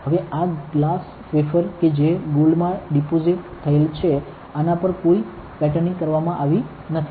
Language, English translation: Gujarati, Now, this is a glass wafer that is deposited with gold, there is no patterning done on this ok